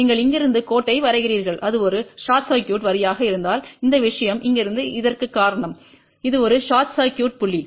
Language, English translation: Tamil, You draw the line from here and if it is a short circuit line you take this thing from here to this because this is a short circuit point